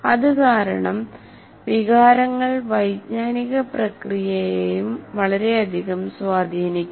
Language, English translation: Malayalam, And because of that, the emotions can greatly influence your cognitive process as well